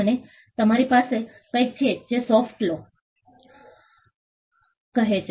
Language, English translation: Gujarati, And you have something called the soft law